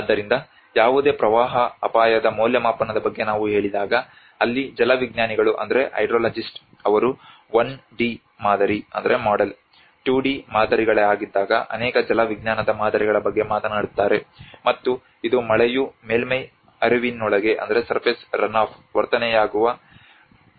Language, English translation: Kannada, So when we say about the hazard assessment of any floods that is where the hydrologist they talk about many hydrological models when it is a 1d model the 2d models and which actually talks about the represent the process by which rainfall is converted into the surface runoff